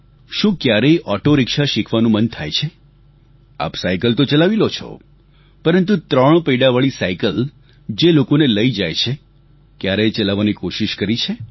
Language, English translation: Gujarati, You're able to ride a bicycle but have you ever tried to operate the threewheeler cycle or rickshaw which transports people